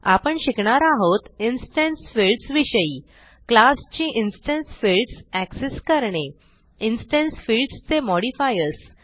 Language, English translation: Marathi, In this tutorial we will learn About instance fields To access the instance fields of a class Modifiers for instance fields And Why instance fields are called so